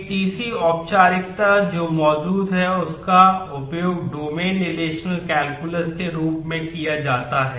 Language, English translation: Hindi, A third formalism that exists that is used is known as domain relational calculus